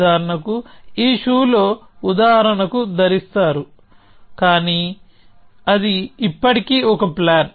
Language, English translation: Telugu, Like for example, in this shoe wearing example, but that would still be a plan